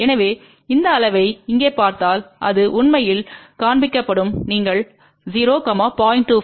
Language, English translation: Tamil, So, if you look at this scale here it will actually show you 0, 0